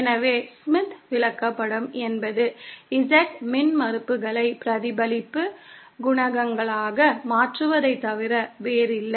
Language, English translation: Tamil, So, a Smith chart is nothing but a conversion of Z impedances into reflection coefficients